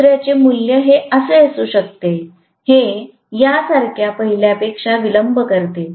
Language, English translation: Marathi, The second might have a value, which is delay from the first one like this